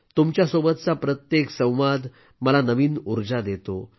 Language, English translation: Marathi, Every interaction with all of you fills me up with new energy